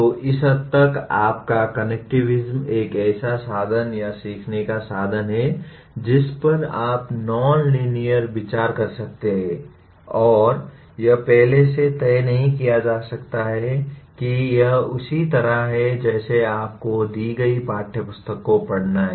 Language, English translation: Hindi, So your connectivism to that extent is a means of or means of learning which you can consider nonlinear and it cannot be exactly decided in advance this is the way you have to learn like reading a given textbook